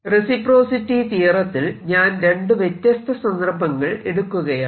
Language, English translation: Malayalam, in a reciprocity theorem i'll take two situations